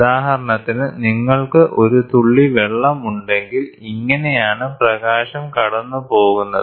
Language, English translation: Malayalam, So, here if for example, you have a droplet of water, this is how the light is passing